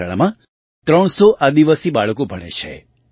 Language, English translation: Gujarati, 300 tribal children study in this school